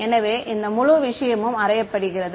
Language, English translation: Tamil, So, this whole thing is also known